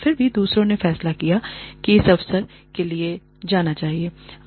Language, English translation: Hindi, Yet others, decided not to go in for, this opportunity